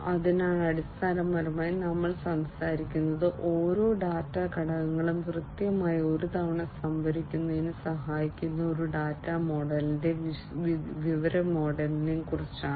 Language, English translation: Malayalam, So, essentially we are talking about a data model and information model that will help in storing every data element exactly once